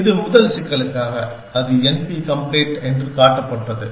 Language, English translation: Tamil, It for the first problem, for that was shown to be n p complete